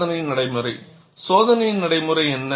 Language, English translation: Tamil, And what is the experimental procedure